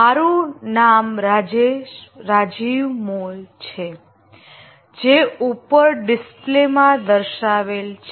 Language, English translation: Gujarati, My name is Rajiv Mal as you can see on the display